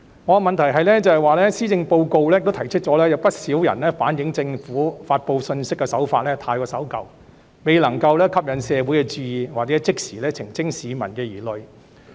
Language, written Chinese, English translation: Cantonese, 我的問題是，施政報告提到，不少人反映政府發布信息的手法太守舊，而未能吸引社會注意或即時澄清市民的疑慮。, My question is According to the Policy Address many people have relayed that the Governments old‑fashioned approach in message delivery has failed to draw the attention of the community or allay public concerns promptly